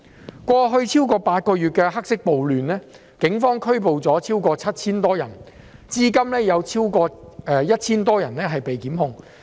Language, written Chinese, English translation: Cantonese, 在過去超過8個月的黑色暴亂中，警方拘捕了超過 7,000 人，至今有超過 1,000 人被檢控。, During the black riots over the past eight months the Police have arrested more than 7 000 people . Over 1 000 people have been prosecuted so far